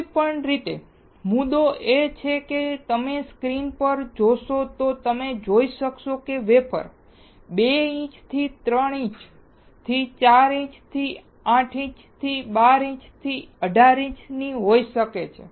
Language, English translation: Gujarati, Anyway, the point is if you see the screen you will be able to see that the wafers can be from 2 inches to 3 inches to 4 inches to 8 inches to 12 inches to 18 inches